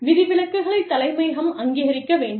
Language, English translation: Tamil, Exceptions need to be approved, by headquarters